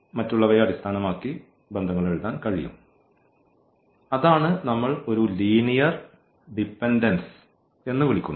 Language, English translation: Malayalam, So, 1 can be written in terms of the others and that is the case where what we call a linear dependence